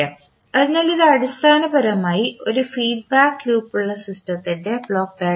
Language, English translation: Malayalam, So this is basically a typical the block diagram of the system having one feedback loop